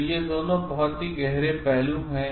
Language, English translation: Hindi, So, these two are finer aspects